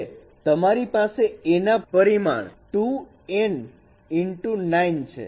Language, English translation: Gujarati, So, dimension of A would be 2 n cross 9